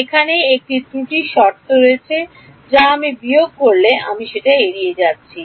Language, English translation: Bengali, There is an error term over here which I am ignoring when I subtract